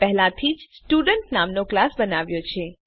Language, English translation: Gujarati, I have already created a class named Student